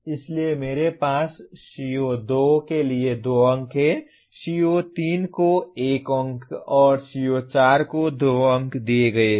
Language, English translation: Hindi, So I have 2 marks assigned to CO2, 1 mark assigned to CO3 and 2 marks assigned to CO4